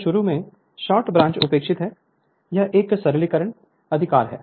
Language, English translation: Hindi, So, at the start the start branch is neglected right just for the it is a simplification right